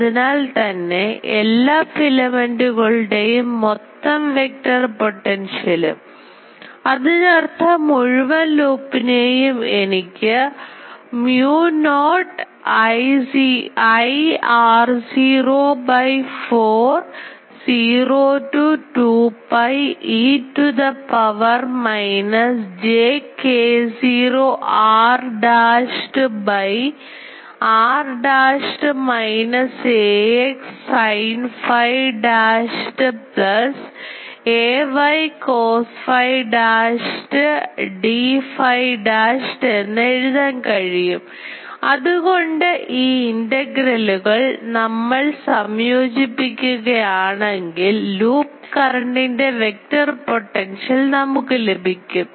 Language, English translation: Malayalam, So, the total vector potential for all the filaments; that means, for the whole loop that I can write as mu naught I; r naught by 4 pi 0 to 2 pi e to the power minus j k naught r dashed by r dashed minus ax sin phi dashed plus ay cos phi dashed d phi dashed